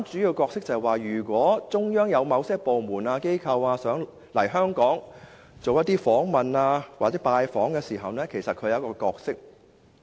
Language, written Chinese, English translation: Cantonese, 如果中央有某些部門、機構想來港進行訪問或拜訪，中聯辦就扮演主要角色。, If some departments and agencies of the Central Authorities want to visit Hong Kong LOCPG will play a major role